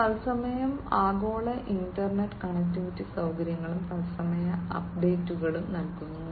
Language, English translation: Malayalam, Global inter connectivity facilities in real time, and providing real time updates